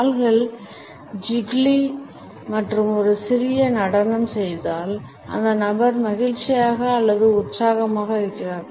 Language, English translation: Tamil, If the feet get jiggly and do a little dance the person is happy or excited or both